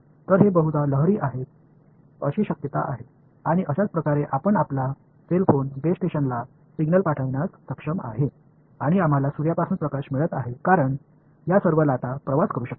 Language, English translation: Marathi, So, they are likely they are wave like and that is how you are able to your cell phone is able to send a signal to the base station and we are getting light from the sun, because these are all waves can travel